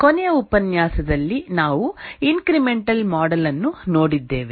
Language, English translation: Kannada, In the last lecture we looked at the incremental model